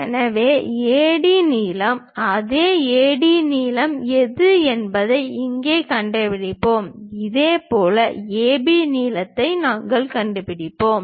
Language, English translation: Tamil, So, we locate whatever the AD length here same AD length here we will locate it; similarly, AB length AB length we will locate